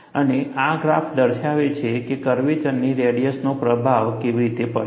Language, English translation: Gujarati, And this graph shows, how does the radius of curvature acts as an influence